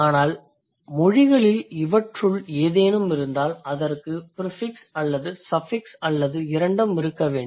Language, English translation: Tamil, But if the languages have any of these, then it must have either the prefixing or the suffixing of suffixing or both